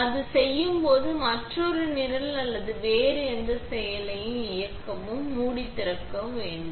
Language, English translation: Tamil, When it is done, in order to go on and run another program or any other process, you must open the lid